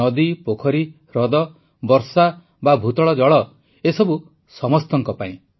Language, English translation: Odia, River, lake, pond or ground water all of these are for everyone